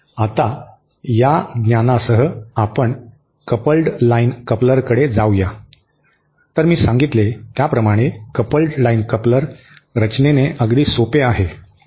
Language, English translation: Marathi, Now, with this knowledge, let us proceed to the coupled line coupler, so the coupled line coupler as I said is again very simple in construction